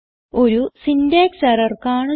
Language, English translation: Malayalam, we see that, there is a syntax error